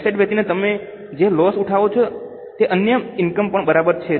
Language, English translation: Gujarati, The loss which you incur by selling asset is also other income